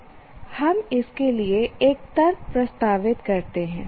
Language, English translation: Hindi, We propose an argument for that